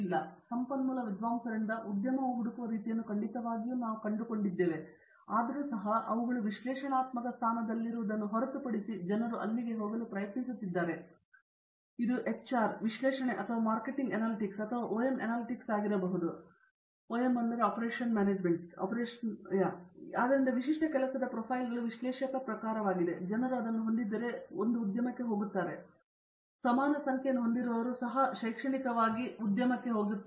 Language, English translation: Kannada, So, even if we find the type of jobs the industry seeks from our resource scholars are definitely; they except them to be in an analytical position and that is where people are trying to go, be it HR analytics or marketing analytics or OM analytics that is so the typical job profiles are more of an analyst type of a profile which people, if they are go into this one, but we have an equal number who get into academics also